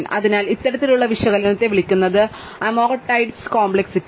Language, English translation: Malayalam, So, this kind of analysis is called amortized complexity